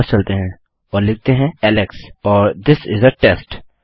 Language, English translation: Hindi, Lets go back and say Alex and This is a test